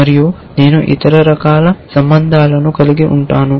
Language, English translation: Telugu, And I can have other kinds of relation